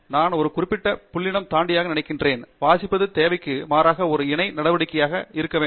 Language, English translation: Tamil, I think beyond a certain point, reading should happen as a parallel action rather than as necessary